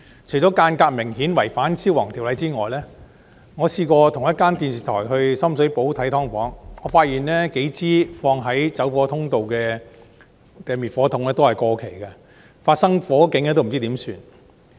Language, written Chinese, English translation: Cantonese, 除了間隔明顯違反《消防安全條例》之外，我曾與一間電視台到深水埗視察"劏房"，發現放置於走火通道的數支滅火筒都是過期的，發生火警時不知怎辦。, Apart from layouts of units that clearly contravene the Fire Safety Buildings Ordinance the fire extinguishers placed at the fire exits of these premises may well have expired as I have discovered in a recent visit to the subdivided units in Sham Shui Po with a television crew . What should the occupants do in the event of a fire?